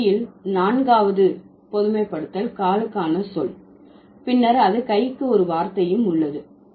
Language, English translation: Tamil, The fourth generalization is, if a language has a word for food, then it also has a word for hand